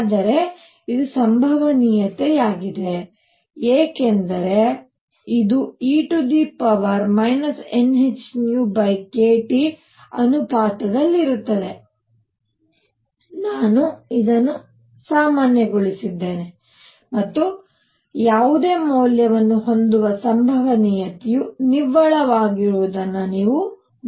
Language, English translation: Kannada, So, this is the probability because this is proportional to e raised to minus n h nu by k T, I normalized it by this and you can see that the net the probability of having any value is going to be one; some energy, right